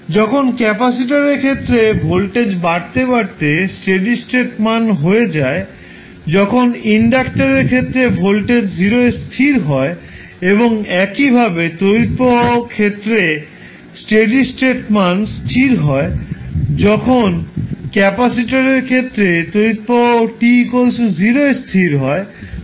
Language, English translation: Bengali, When in case of capacitor voltage rises to steady state value while in case of inductor voltage settles down to 0 and similarly current in this case is settling to a steady state value while in case of capacitor the current will settle down to 0